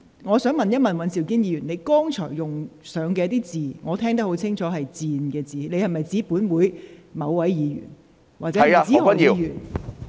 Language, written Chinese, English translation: Cantonese, 我想問尹兆堅議員，你在剛才發言中使用了一個字，我聽得很清楚是"賤"，你指的是否本會某位議員？, I would like to ask Mr Andrew WAN with the word ignoble which you used in your speech just now and I heard very clearly did you refer to a specific Member of this Council?